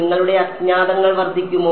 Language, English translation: Malayalam, Will your unknowns increase